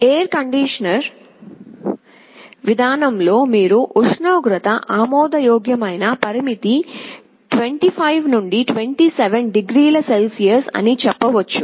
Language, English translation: Telugu, Like let us say, for temperature you may say that my acceptable limit is 25 to 27 degree Celsius